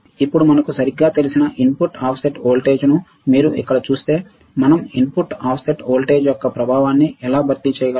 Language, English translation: Telugu, Now, if you see here input offset voltage that we know right, how we can how we can compensate the effect of input offset voltage